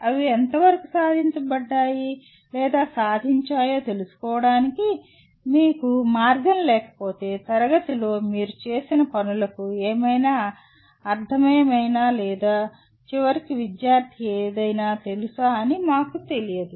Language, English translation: Telugu, If you have no way of finding out to what extent they have been achieved or attained, we just do not know whether whatever you have done in the classroom makes any sense or in the end student knows anything